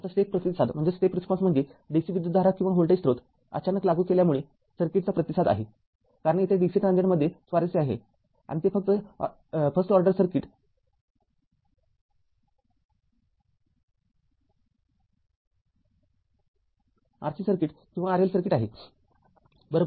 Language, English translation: Marathi, Now, the step response is the response of the circuit due to a sudden application of dc current or voltage source because our interest here is dc transient and that is first order circuit either RC circuit or RL circuit right